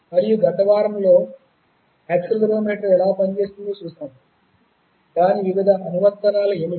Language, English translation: Telugu, And in the last week, we saw how an accelerometer works, what are its various applications